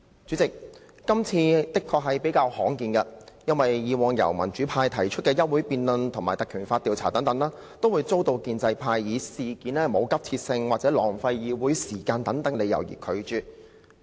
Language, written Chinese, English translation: Cantonese, 主席，今次確實較為罕見，因為以往民主派提出的休會待續議案及以《立法會條例》動議的議案，均會遭建制派以事件沒有急切性或浪費議會時間為由而拒絕。, President it is indeed very rare because adjournment motions or motions moved under Legislative Council Ordinance by the democratic camp have been rejected by the pro - establishment camp for reasons of no urgency of the matter or wasting Council meeting time